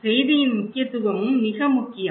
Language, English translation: Tamil, Importance of message is also very important, okay